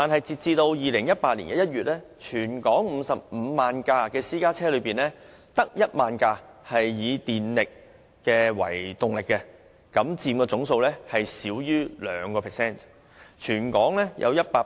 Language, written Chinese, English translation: Cantonese, 截至2018年1月，在全港55萬輛私家車中，只有1萬輛以電力為動力，佔總數少於 2%。, As at January 2018 only 10 000 or less than 2 % of the 550 000 private cars in Hong Kong were powered by electricity